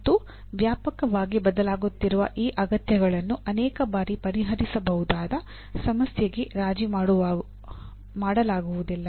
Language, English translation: Kannada, And many times this widely varying needs cannot be compromised into a solvable problem